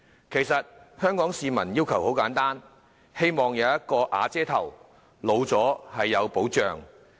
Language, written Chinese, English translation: Cantonese, 其實香港市民的要求很簡單，便是希望"有瓦遮頭"，讓年老時生活有保障。, Actually the requests of Hong Kong people are very modest . They just want to have a shelter and some livelihood protection in their old age